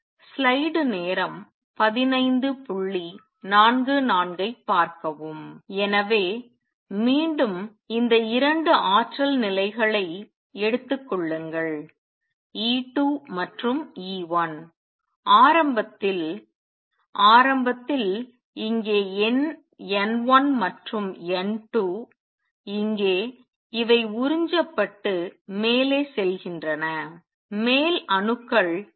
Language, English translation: Tamil, So, again take these 2 energy levels E 2 and E 1 the number initially is N 1 here and N 2 here these are absorbing and going up the upper atoms are coming down